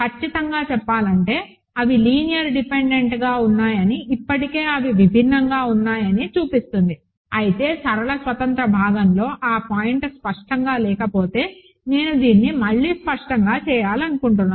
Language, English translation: Telugu, Strictly speaking fact that they are linearly independent already shows that they are different, but if that point is not clear in the linear independence part, I wanted to do this explicitly again